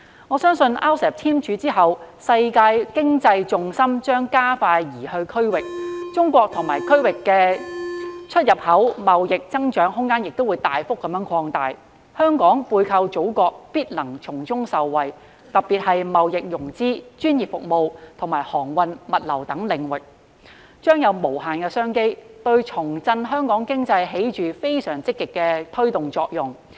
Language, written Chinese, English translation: Cantonese, 我相信在 RCEP 簽署後，世界經濟重心將加快移向區域，中國與區域的出入口貿易增長空間亦會大幅擴大，香港背靠祖國必能從中受惠，特別是貿易融資、專業服務及航運物流等領域將有無限商機，對重振香港經濟起着非常積極的推動作用。, I believe after the signing of RCEP the global economic gravity will shift more rapidly to the region and the growth of Chinas import and export trade with the region will also expand significantly . By leveraging on the Mainland Hong Kong will definitely benefit especially in the areas of trade financing professional services and shipping logistics where unlimited business opportunities will be created . They will provide a very positive driving force for boosting Hong Kongs economy